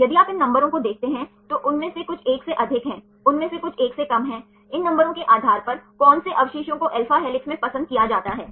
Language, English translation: Hindi, If you see these numbers, some of them are more than 1, some of them are less than 1, based on these numbers which residue is preferred to be in alpha helix